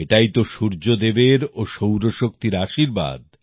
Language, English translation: Bengali, This blessing of Sun God is 'Solar Energy'